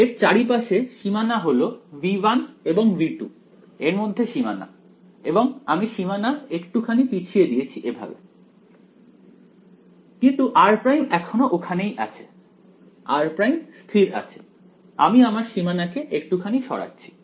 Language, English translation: Bengali, The boundary around it; the boundary is the boundary between V 1 and V 2 and I have I have pushed the boundary little bit this way, but r prime is still there; r prime is not moving I am moving the boundary a little bit